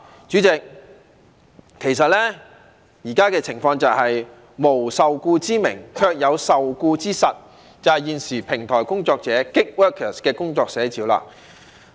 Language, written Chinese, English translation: Cantonese, 主席，其實現時的情況就是無受僱之名，卻有受僱之實，這就是現時平台工作者的工作寫照。, President the present case is actually that such workers are under de facto employment despite the absence of a recognized employment status